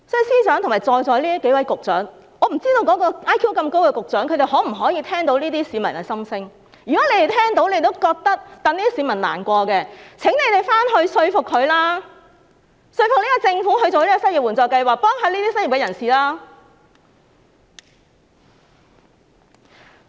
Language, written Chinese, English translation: Cantonese, 司長及在席數位局長，我不知道 IQ 這麼高的那位局長能否聽到這些市民的心聲，如果你們聽到並替這些市民難過，就請你們回去說服他，說服這個政府設立失業援助計劃，協助這些失業人士。, Financial Secretary and the various Directors of Bureaux in the Chamber I do not know whether or not the Secretary with high IQ can hear the views of these people . If you can and feel sorry for them I implore you to go back and persuade the Secretary and the Government to set up an unemployment assistance scheme to render assistance to the unemployed